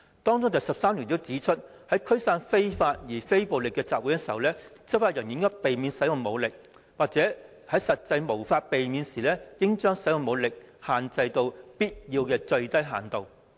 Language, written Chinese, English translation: Cantonese, 當中第13條訂明，在驅散非法而非暴力的集會時，執法人員應避免使用武力，或在實際無法避免時應將使用武力限制到必要的最低限度。, Principle 13 stipulates that in the dispersal of assemblies that are unlawful but non - violent law enforcement officials shall avoid the use of force or where that is not practicable shall restrict such force to the minimum extent as required